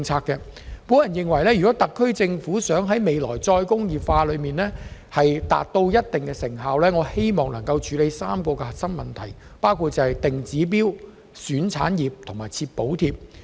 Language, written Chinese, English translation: Cantonese, 我認為，如果特區政府希望未來能在再工業化方面取得一定成效，應該處理3個核心問題，包括"定指標"、"選產業"及"設補貼"。, If the SAR Government wants to make some achievements in re - industrialization there are three core issues that must be dealt with namely setting targets identifying industries and providing subsidies